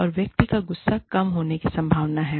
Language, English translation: Hindi, And, the person's anger is, likely to come down